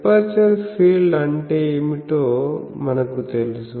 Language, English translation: Telugu, So, we know that what is the aperture field